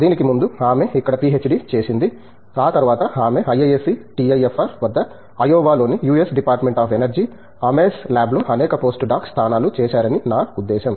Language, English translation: Telugu, Before that, I mean she had done her PhD here and after that she has done several post doc positions she has held at IISC, at TIFR, at Ames lab in the US Department of Energy Ames Lab at Ayova